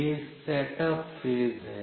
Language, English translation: Hindi, This is the set up phase